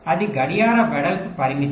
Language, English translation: Telugu, that is the clock width constraint